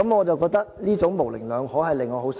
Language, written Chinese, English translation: Cantonese, 這種模棱兩可令我很失望。, I find such ambivalence really very disappointing